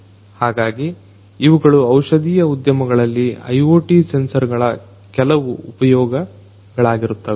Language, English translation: Kannada, So, these are some of these uses of IoT sensors in the pharmaceutical industries